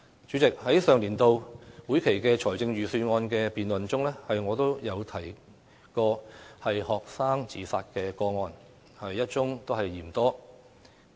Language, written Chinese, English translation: Cantonese, 主席，在上年度會期的財政預算案辯論中，我曾提及學生自殺個案一宗也嫌多。, President as I said during the Budget debate in the last legislative session even one case of student suicide is already too many